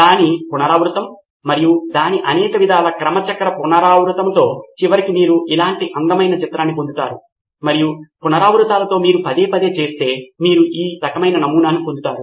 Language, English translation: Telugu, Its an iteration, its multi multi cycle iteration and in the end you will get a beautiful image like this, just made of iterations something that you do over and over and over again and you get this kind of a pattern